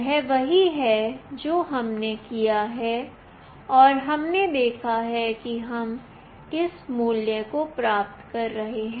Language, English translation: Hindi, This is what we have done and we have seen that what value we are receiving